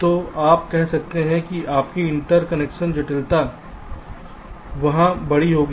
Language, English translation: Hindi, so you can say that your interconnection complexity will be larger there